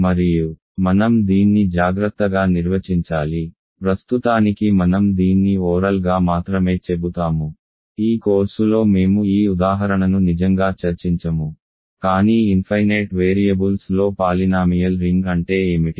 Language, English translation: Telugu, And I should define this carefully I will only say this orally for now, we will not really discuss this example a lot in this course, but what is a polynomial ring in infinitely many variables